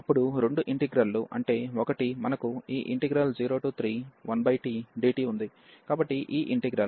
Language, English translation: Telugu, Then both the integrals both means the one is we have this 0 to 3 here 1 over t dt, so this integral